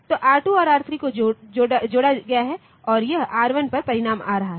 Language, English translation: Hindi, So, R2 and R3 are added and this is coming to R1